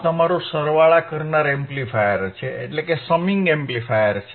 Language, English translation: Gujarati, This is your summing amplifier, easy